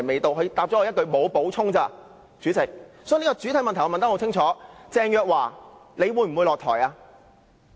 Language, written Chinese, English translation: Cantonese, 主席，我的補充質詢很清楚：鄭若驊，你會否下台？, President my supplementary question is very clear Teresa CHENG will you step down?